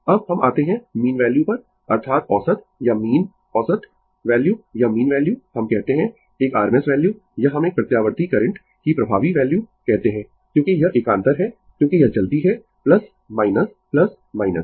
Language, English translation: Hindi, Now, we will come to mean value that is average or mean average value or mean value we call and RMS value or we call effective value of an alternating current because it is alternating because it is moving plus minus plus minus